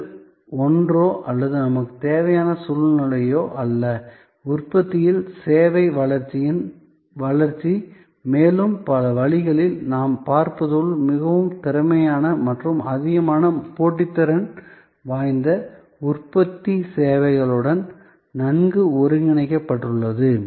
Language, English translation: Tamil, So, it is not either or situation we need therefore, growth in service growth in manufacturing and as we will see in many ways highly competent and highly competitive manufacturing is well integrated with services